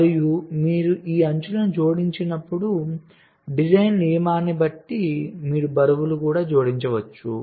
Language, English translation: Telugu, so and you, when you add these edges, depending on the design rule, you can also add the weights